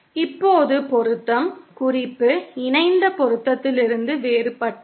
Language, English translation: Tamil, Now matching, note, is different from conjugate matching